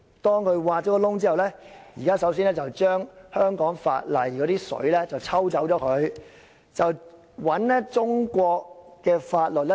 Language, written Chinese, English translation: Cantonese, 當挖了這個"洞"後，首先將香港法例的"水"抽走，再注入中國法律。, After this hole is dug the water should be extracted in the first place and replaced with Chinas laws